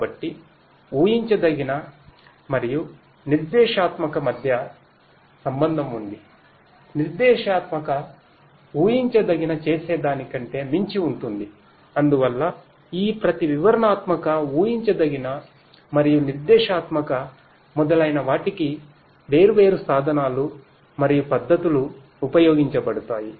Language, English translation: Telugu, So, there is a link between the predictive and the prescriptive; prescriptive goes beyond what predictive does and so, there are different tools and techniques to be used for each of these descriptive, predictive, prescriptive and so on